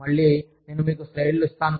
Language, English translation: Telugu, Again, I will give you the slides